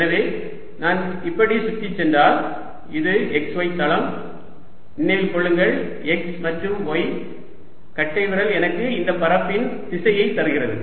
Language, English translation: Tamil, so if i go around like this, this is the x y plane, remember x and y thumb gives the direction of area